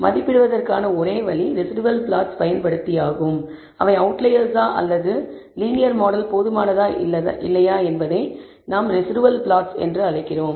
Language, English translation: Tamil, So, one way of assessing, whether they are outliers or whether linear model is adequate or not is using what we call residual plots